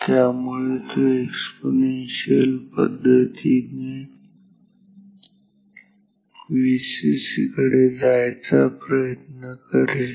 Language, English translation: Marathi, So, it will charge again exponentially and it will try to go towards V cc